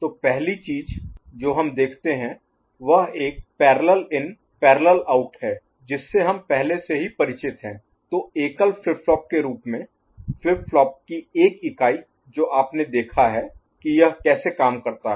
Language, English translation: Hindi, So, the first thing that we see is a PIPO, parallel in, parallel out which we are already familiar with in one single flip flop form, on one unit of flip flop that you have seen how it works